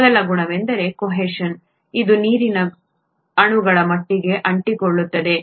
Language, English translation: Kannada, The first property is adhesion which is water molecules sticking together